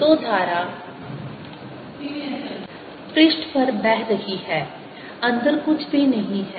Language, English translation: Hindi, so current is flowing on the surface, inside there is nothing